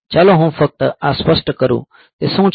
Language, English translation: Gujarati, So, let me just clarify this, what is it